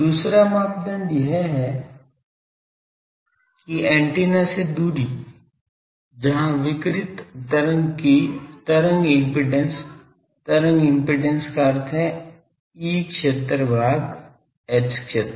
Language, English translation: Hindi, The second criteria is that the distance from the antenna, where the wave impedance of the radiated wave; wave impedance means the E field by H field